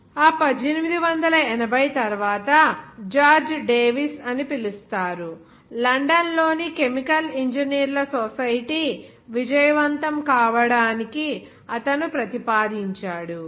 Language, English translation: Telugu, After that 1880, is called George Davis, he proposed to the unsuccessful formation of the society of chemical engineers in London